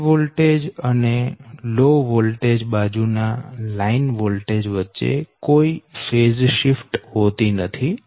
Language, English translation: Gujarati, there is no phase shift between the corresponding line voltage on the high voltage side and the low voltage side